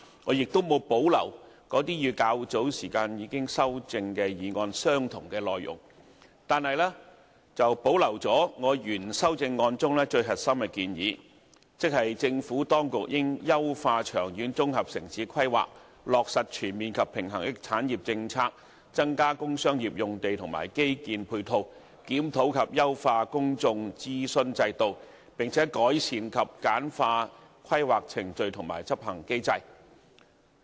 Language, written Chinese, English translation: Cantonese, 我亦沒有保留與較早時已修正的議案相同的內容，但我保留了原修正案中最核心的建議，即是政府當局應"優化長遠綜合城市規劃、落實全面及平衡的產業政策、增加工商業用地和基建配套"；"檢討及優化公眾諮詢制度，並改善及簡化規劃程序和執行機制"。, Likewise I do not retain the parts in my original amendment which are more or less the same as the earlier amendment that has been passed . But I have retained the core proposals of my original amendment that is the Administration should enhance long - term integrated town planning implement a comprehensive and balanced industrial policy increase the provision of sites and infrastructure support for industrial and commercial industries as well as review and enhance the public consultation system and improve and streamline the planning procedures and implementation mechanism